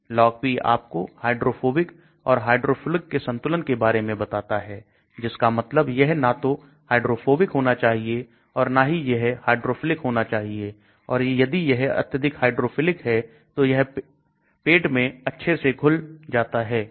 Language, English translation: Hindi, Log P tells you the hydrophobic, hydrophilic balance of the drug that means it should neither be hydrophobic or it should neither be hydrophilic and if it is too much hydrophilic it will dissolve nicely in the stomach